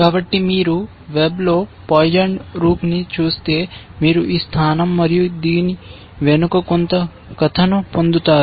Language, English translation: Telugu, So, if you just look up poisoned rook on the web, you will get this position and some story behind this essentially